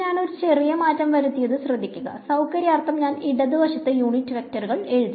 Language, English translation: Malayalam, So, note I just did a small change I wrote the unit vectors on the left hand side for convenience